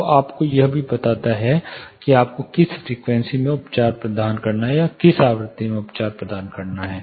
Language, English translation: Hindi, So, it also tells you which frequency, you have to actually provide treatment for